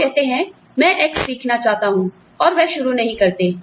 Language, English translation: Hindi, You say, I want to learn X, and, they do not start